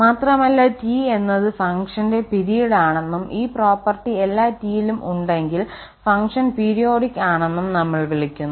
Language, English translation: Malayalam, And then, we call that this T is the period of the function and the function is periodic if this property holds for all t